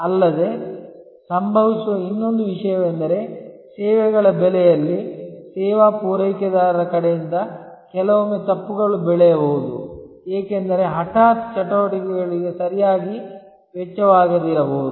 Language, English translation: Kannada, Also, another thing that happens is that in services pricing, from the service provider side, sometimes there can be grows mistakes, because sudden activities might not have been costed properly